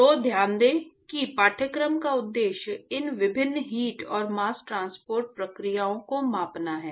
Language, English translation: Hindi, So, note that the objective of the course is to quantify these different heat and mass transport processes